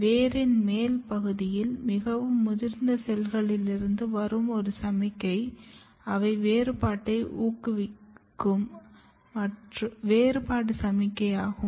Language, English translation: Tamil, One signals which might be coming from the very mature cells of the upper region of the root, and they are the differentiation signal they are promoting the differentiation